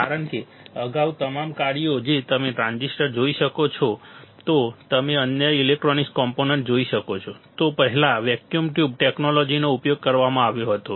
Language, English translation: Gujarati, Because all the functions earlier, if you see the transistors if you see the other electronic components earlier vacuum tube technology was used